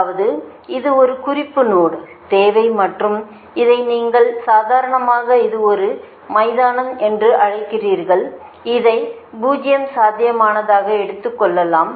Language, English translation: Tamil, so that means this is an one reference node is required and this is your, what you call, this is your, normally, it's a ground and you can take it as a zero potential right